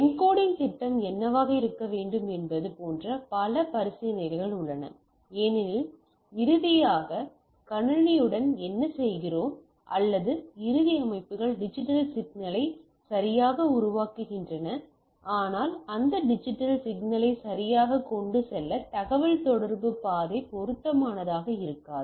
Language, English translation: Tamil, And there are several consideration like what should be the encoding scheme because finally, whatever we are doing with the system or at the end systems are generated digital signals right, but your communication path may not be suitable to carry that digital signals right